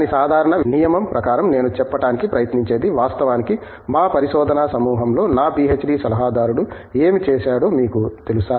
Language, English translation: Telugu, But, as a general rule what I have tried to do is of course, you know emulate what my PhD adviser did in our research group